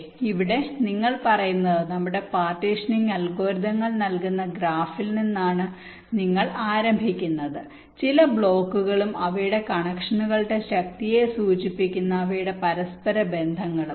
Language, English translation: Malayalam, so so here, what your saying is that we start with that graph which our partitioning algorithms is giving us some blocks and their interconnections, indicating their strength of connections